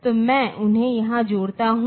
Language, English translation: Hindi, So, I connect them here